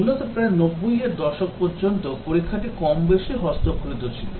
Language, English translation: Bengali, Basically, till about 90s the testing was more or less manual